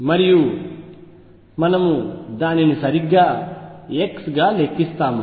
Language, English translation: Telugu, And we also calculate it psi right x